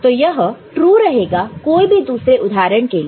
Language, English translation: Hindi, So, this will be true for any other you know, example